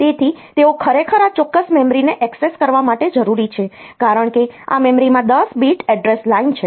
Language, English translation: Gujarati, So, they are actually needed for accessing this particular memory, because this memory has got 10 bit address line